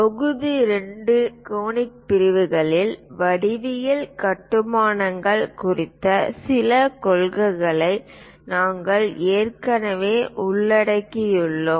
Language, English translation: Tamil, In module 2, conic sections, we have already covered some of the principles on geometric constructions